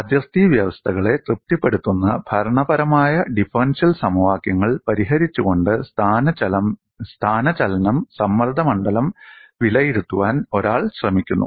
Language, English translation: Malayalam, One attempts to evaluate the displacement or stress field by solving the governing differential equations satisfying the boundary conditions